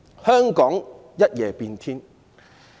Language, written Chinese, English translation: Cantonese, 香港可謂一夜變天。, Hong Kong has literally changed overnight